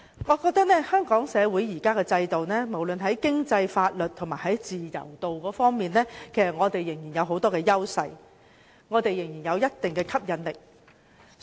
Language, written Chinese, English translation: Cantonese, 我認為香港社會現行的制度，無論是在經濟、法律及自由度方面，仍然有很多優勢，仍然有一定的吸引力。, In my view the existing systems of Hong Kong society be it in the context of economy law or freedom still enjoy various advantages and are attractive in some measure